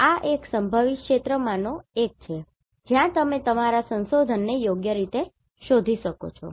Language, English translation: Gujarati, So this is one of the potential areas where you can look for your research right